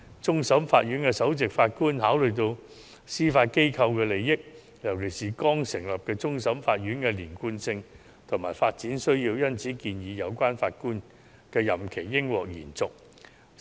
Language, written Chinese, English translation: Cantonese, 終審法院首席法官考慮到司法機構的利益，尤其是剛成立的終審法院的連貫性及發展需要，因而建議有關法官的任期應獲得延續。, The Chief Justice of CFA took into account the interests of the Judiciary especially the continuity and development needs of the newly established CFA and recommended that the term of the Judge should be extended